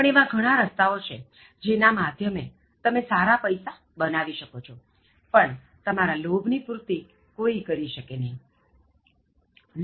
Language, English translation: Gujarati, But there are ways in which you can make decent money, but if you are greedy, then your greed can never be fulfilled